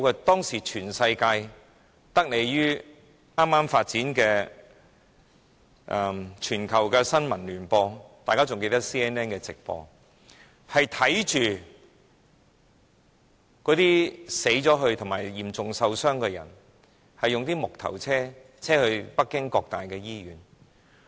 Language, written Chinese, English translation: Cantonese, 當時全世界的人得利於剛剛發展的全球新聞聯播——我相信大家還記得 CNN 的直播——都看到那些死去及嚴重受傷的人，被木頭車載到北京各大醫院。, At that time thanks to the newly developed global news broadcast network―I believe Members still recall the live broadcast by CNN―people all over the world saw the victims dead and seriously injured being transported by wooden carts to major hospitals in Beijing